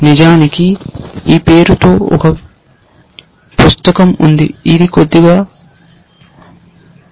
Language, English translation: Telugu, In fact, there is a book by this name, it is a little old